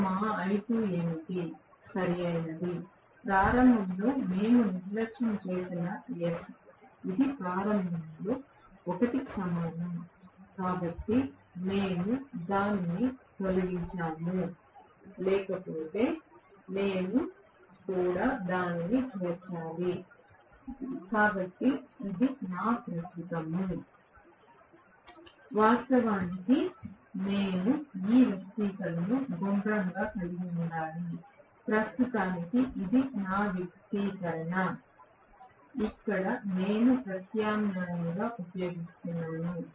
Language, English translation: Telugu, this is what was our I2, right, in starting we neglected S equal to 1, so we just removed that otherwise I have to include that as well, so this is my current actually I should have rounded this expression, this is what is actually my expression for the current, let me substitute that here